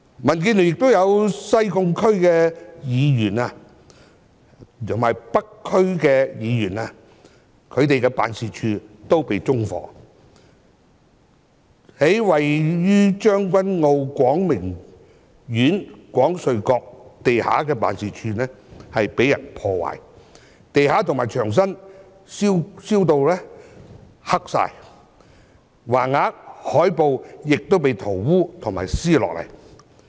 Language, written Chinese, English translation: Cantonese, 民建聯亦有西貢區議員及北區區議員的辦事處被縱火，而位於將軍澳廣明苑廣瑞閣地下的辦事處則被人破壞，地板及牆身被燒至燻黑，橫額和海報亦被塗污和撕下。, The offices of some Sai Kung DC and North DC members from DAB were also set on fire while the office on the ground floor of Kwong Sui House of Kwong Ming Court in Tseung Kwan O was vandalized with the floor and its walls blackened by smoke and some banners and posters smeared and torn up